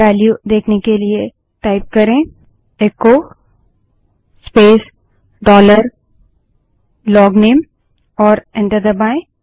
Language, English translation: Hindi, In order to see the value type echo space dollar LOGNAME and press enter